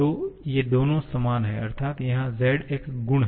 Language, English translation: Hindi, So, these two are equal that means here z is a property